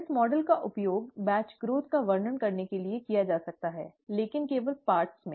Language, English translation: Hindi, This model can be used to describe batch growth, but only in parts